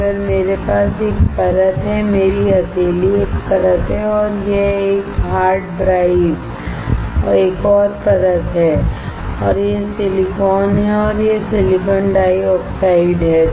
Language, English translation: Hindi, If I have a layer; my palm is one layer and this hard drive is another layer and this is silicon and this is silicon dioxide